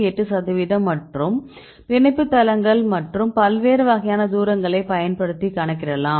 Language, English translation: Tamil, 8 percent of residues which are identify binding sites and the distance we use different types of distances